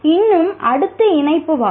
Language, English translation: Tamil, Still next one is connectivism